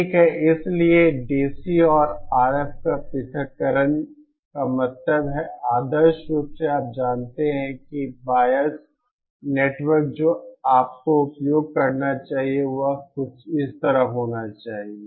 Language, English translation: Hindi, Okay, so DC and RF separation means that see ideally you know that bias network that you should use should be something like this